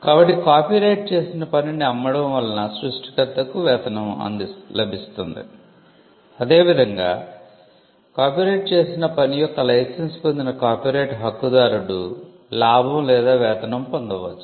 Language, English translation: Telugu, So, the sale of a copyrighted work can result in remuneration for the creator similarly licence of copyrighted work can also result in a gain or a remuneration for the copyright holder